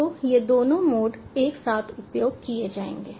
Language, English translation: Hindi, so these both these modes will be used simultaneously